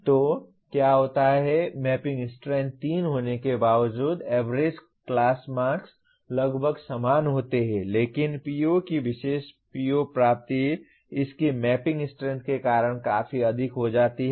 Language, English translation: Hindi, So what happens, the mapping strength being 3 though the average class marks are roughly the same but the PO that particular PO attainment turns out to be quite high because of its mapping strength